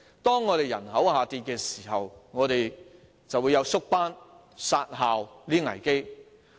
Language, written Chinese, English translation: Cantonese, 當人口下降時，便會出現縮班、"殺校"的危機。, When the population falls there will be crises of reduction of classes and closure of schools